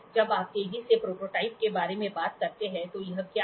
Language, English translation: Hindi, When you talk about rapid prototyping what is it